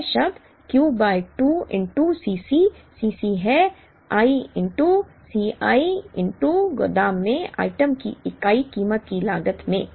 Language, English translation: Hindi, This term is Q by 2 into C c, C c is i into C i into cost of the unit price of the item at the warehouse